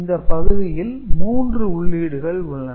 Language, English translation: Tamil, So, basically there are 3 inputs